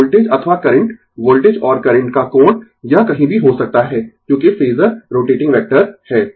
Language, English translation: Hindi, So, voltage or current right, the angle of the voltage and current it can be in anywhere, because phasor is rotating vector